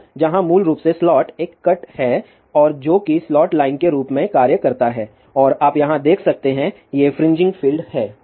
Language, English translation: Hindi, So, where basically a slot is cut and that is what acts as a slot line and you can see over here, these are the fringing field ; however,